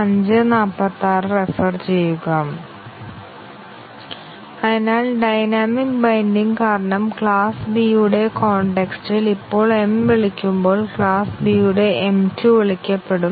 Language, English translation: Malayalam, So, now when m is called in the context of class B due to a dynamic binding, the m 2 of class B will be called